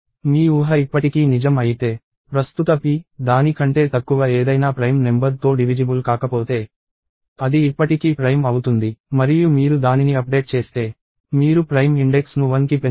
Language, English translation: Telugu, If your assumption still holds true; if the current p is not divisible by any prime number less than it, then it is still prime and you update it, you increment the prime index by one